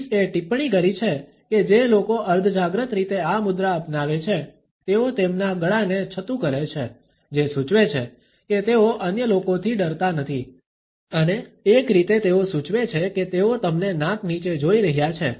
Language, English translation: Gujarati, Pease has commented that people who adopt this posture in a subconscious manner expose their throat suggesting that they are not afraid of other people and in a way they suggest that they are looking down their nose to you